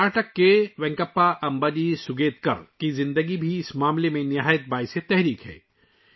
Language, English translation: Urdu, The life of Venkappa Ambaji Sugetkar of Karnataka, is also very inspiring in this regard